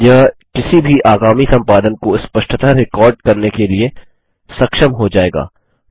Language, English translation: Hindi, This will enable any subsequent editing to be recorded distinctly